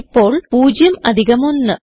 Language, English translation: Malayalam, Now 0 plus 1